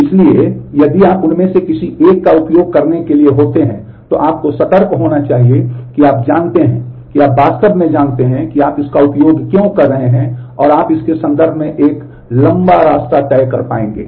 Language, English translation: Hindi, So, if you happen to use any one of them, then you should be cause a cautious that you know you really know why you are using it and you would be able to go a long way in terms of that